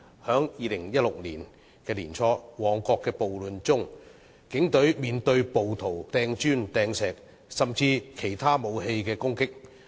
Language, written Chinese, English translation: Cantonese, 在2016年年初的旺角暴亂中，警隊被暴徒拋擲磚石，甚至使用其他武器作攻擊。, During the riot in Mong Kok in early 2016 rioters threw bricks and stones at the Police Force and even attacked them with other weapons